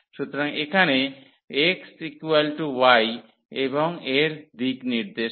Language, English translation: Bengali, So, here the x is equal to y and in the direction of